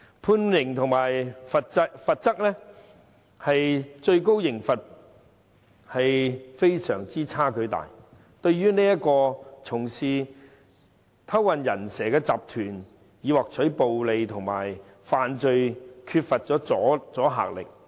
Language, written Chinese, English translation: Cantonese, 判刑與法例的最高刑罰有極大差距，對於經營偷運"人蛇"集團以獲取暴利的罪犯缺乏阻嚇力。, There was a big disparity between the sentences and the maximum penalty imposed by the relevant legislation as the maximum penalty lacked the deterrent effect against criminals who operated human - smuggling syndicates for extortionate profits